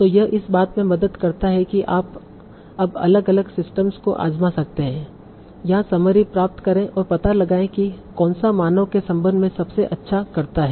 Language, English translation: Hindi, So this helps in that you can now try out different different systems, get the summary and find out which one does the best with the respect to the human